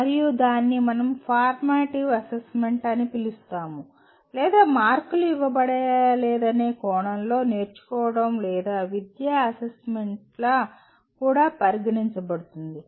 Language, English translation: Telugu, And that is what we call as formative assessment or it is also considered assessment of learning or educative assessment in the sense that no marks are given